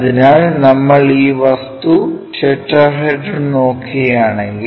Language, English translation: Malayalam, So, if we are looking at this object tetrahedron